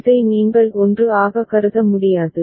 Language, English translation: Tamil, You cannot treat this as a 1